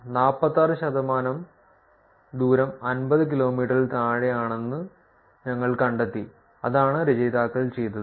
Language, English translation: Malayalam, We found that 46 percent of the distances are under 50 kilometers that is what the authors did